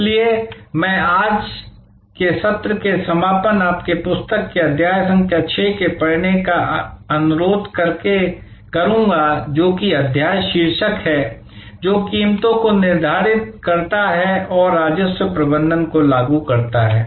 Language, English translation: Hindi, So, I will conclude today's session by requesting you to read chapter number 6 from the book, which is the chapter title setting prices and implementing revenue management